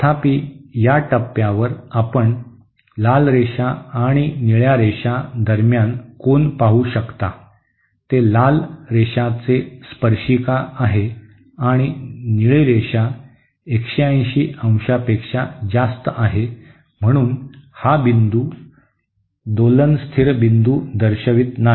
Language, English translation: Marathi, However, at this point as you can see the angle between the red line and the blue line, that is the tangents to the red line and the blue line is greater than 180¡, therefore this point does not represents a stable point of oscillation